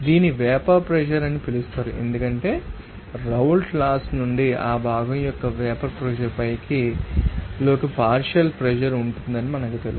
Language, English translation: Telugu, So, this is your this is called vapor pressure because we know that from the Raoult’s Law that partial pressure that will to you know that xi into you know that we get on vapour pressure of that component